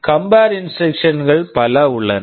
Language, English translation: Tamil, There are a variety of compare instructions